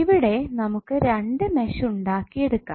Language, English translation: Malayalam, Because here it is you can see that you can create two meshes